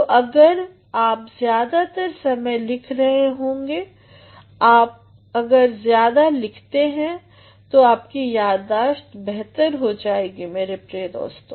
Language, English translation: Hindi, So, if you are writing most of the time, if you are writing more you will develop a good memory, my dear friends